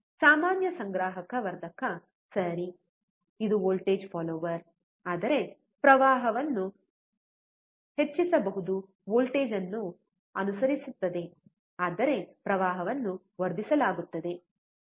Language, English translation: Kannada, Common collector amplifier, right, it is a voltage follower, but can increase the current is follows a voltage, but current is amplified, right